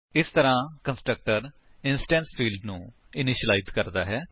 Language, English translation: Punjabi, So, the constructor initializes the instance field